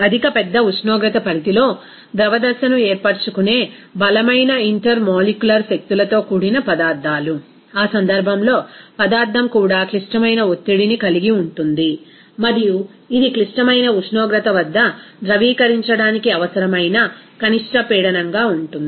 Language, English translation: Telugu, The substances with strong intermolecular forces that tend to form a liquid phase over a high large temperature range, in that case, the substance will also have a critical pressure and it will be the minimum pressure that is required to liquefy it at the critical temperature